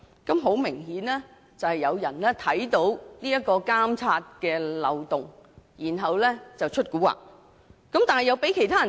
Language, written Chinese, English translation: Cantonese, 這顯然是有人在察覺到有監察漏洞後"出古惑"，但卻被人發現。, Apparently someone had taken advantage of the monitoring loophole and adopted underhand tactics but was being discovered